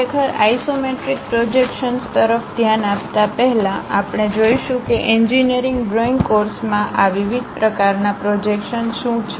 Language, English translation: Gujarati, Before really looking at isometric projections, we will see what are these different kind of projections involved in engineering drawing course